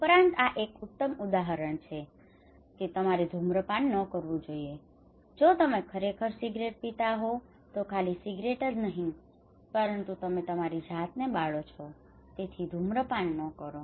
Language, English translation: Gujarati, Also, this one is a very good example that you should not smoke if you are smoking actually not only cigarette, but you are burning yourself right so do not smoke